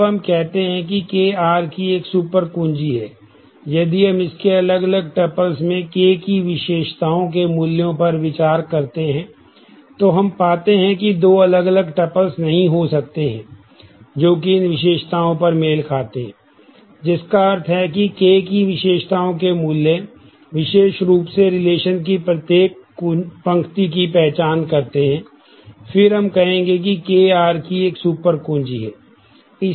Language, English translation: Hindi, Now, we will say that K is a super key of R, if we consider the values of different tuples in the attributes of K and we find that there cannot be two tuples, which are different, but match on these attributes, which mean that the values of the attributes of K, uniquely identify each row of the relation, then we will say that K is a super key of R